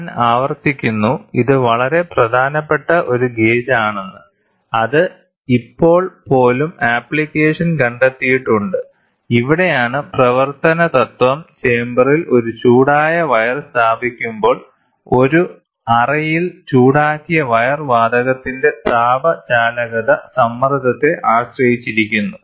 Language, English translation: Malayalam, I repeat this is one of a very important gauge which has even now find application; where the working principle is when a heated wire is placed in the chamber, heated wire in a chamber the thermal conductivity of the gas depends on the pressure